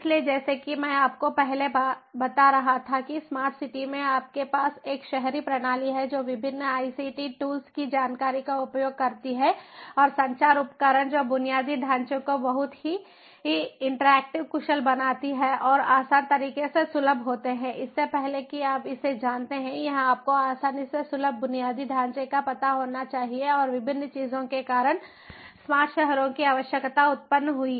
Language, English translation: Hindi, so, as i was telling you before that in a smart city, you have an urban system which, ah, uses different ict tools, information and communication tools, which makes the infrastructure very interactive, efficient and accessible in an easier manner, then, before you know it, it should be, you know, easily accessible infrastructure and the need for smart cities arose due to different things